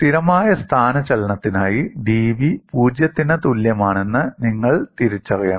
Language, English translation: Malayalam, You have to recognize, for constant displacement, dv equal to 0